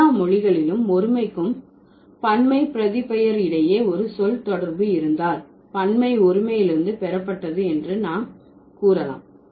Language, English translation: Tamil, In all languages, if there is a derivational relationship between a singular and a plural pronoun, then the plural is derived from the singular